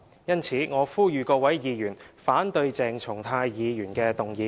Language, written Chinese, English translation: Cantonese, 因此，我呼籲各議員反對鄭松泰議員的議案。, Therefore I call upon Members to oppose Dr CHENG Chung - tais motion